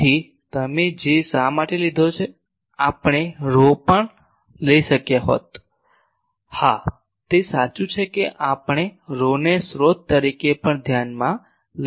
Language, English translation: Gujarati, So, why we have taken J; we could have taken rho also yes that is true that we can start from we can consider rho as the source also